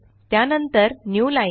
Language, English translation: Marathi, followed by a newline